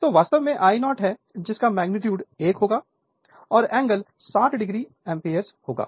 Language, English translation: Hindi, So, it is actually your I 0 is equal to magnitude will be 1 and angle will be minus 60 degree ampere